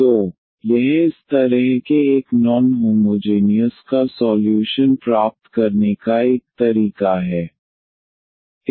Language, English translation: Hindi, So, this is one way of getting the solution of this such a non homogeneous